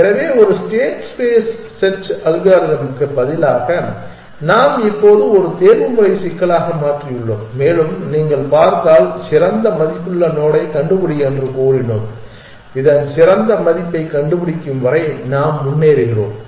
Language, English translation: Tamil, So, instead of a state space search algorithm, we have now converted into an optimization problem and said find the node with a best value rich if you see and we keep moving forward till we find the better value of this